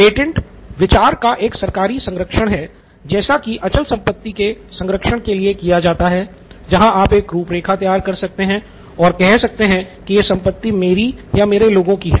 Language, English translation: Hindi, Patent is a government protection of an idea similar to a real estate where you can draw an outline and say this belongs to me or a group of people, same way this is for the intellectual property, intellectual estate